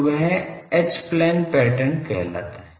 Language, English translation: Hindi, So, that is called H plane pattern